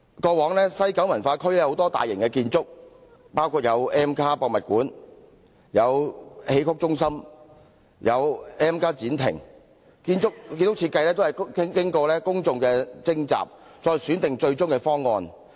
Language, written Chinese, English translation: Cantonese, 過往西九文化區有多項大型建築，包括 M+ 視覺文化博物館、戲曲中心、M+ 展亭等，建築設計均須經公眾諮詢收集意見，再選定最終的方案。, In the past proposals of building design of various large - scale developments in WKCD including M the Xiqu Centre and the M Pavilion etc . were finalized only after opinions were collected in public consultation